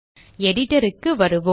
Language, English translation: Tamil, Let us go back to the Editor